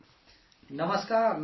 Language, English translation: Urdu, Namaskar, Namaksar Sir